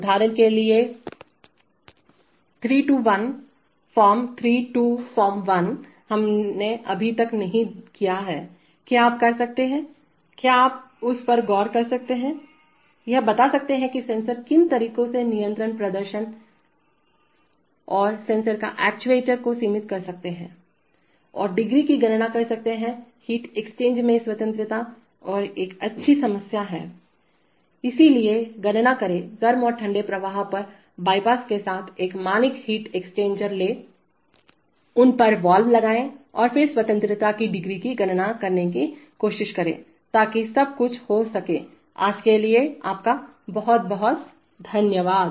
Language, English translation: Hindi, For example, three to one, form three to form one, we have not yet done, can you, can you look at that, explain in what ways a sensor can limit control performance and sensor or actuator, and compute the degrees of freedom in a heat exchanger, this is a nice problem, so, compute the, take a standard heat exchanger with bypasses on the hot and the cold flow, put valves on them and then try to compute the degrees of freedom, so that is all for today, thank you very much